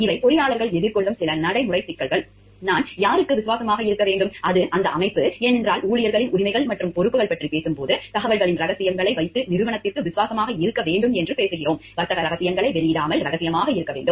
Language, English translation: Tamil, These are some practical problems that engineers may be facing; like who should I be loyal to, it is the organization, because when we talking of a employees rights and responsibilities, we are talking of being loyal to the organization keeping secrets of information, not divulging trade secrets, confidentiality, trustworthiness